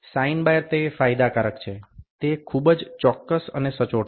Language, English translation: Gujarati, Sine bar is advantage is very precise and accurate